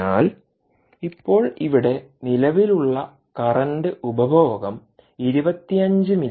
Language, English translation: Malayalam, so now the current consumption here is twenty five milliamperes